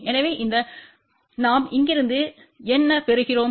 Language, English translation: Tamil, So, this is what we get from here to here